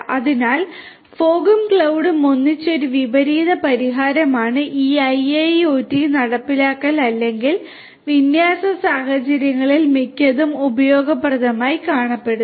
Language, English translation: Malayalam, So, fog and cloud together a converse solution is what is typically useful and is found useful in most of these IIoT implementation or deployment scenarios